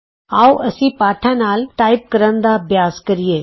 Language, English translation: Punjabi, Let us practice to type using the lessons